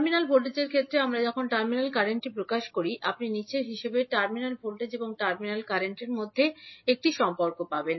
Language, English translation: Bengali, So, when we express terminal current in terms of terminal voltages, you will get a relationship between terminal voltage and terminal current as follows